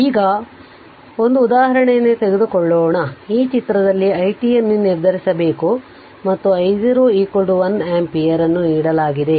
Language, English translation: Kannada, So, now next let us take 1 example, in in this figure you have to determine i t and i y t given that I 0 is equal to 1 ampere